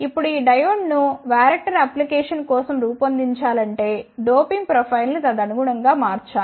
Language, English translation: Telugu, Now, if this diode is to be designed for the varactor applications the doping profile should be ah altered accordingly